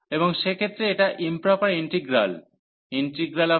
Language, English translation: Bengali, And in that case this improper integral a to infinity f x g x dx